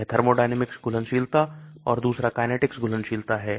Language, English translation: Hindi, This is thermodynamic solubility, other is kinetic solubility